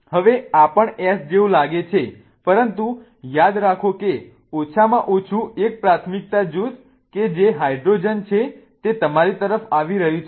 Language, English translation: Gujarati, Now, this also looks like S but remember the least priority group that is hydrogen is coming towards you